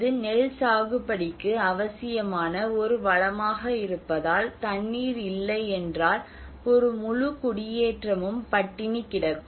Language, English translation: Tamil, Because it is a resource essential to the cultivation of rice, without an entire settlement could be starved